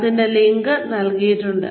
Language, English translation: Malayalam, The link is given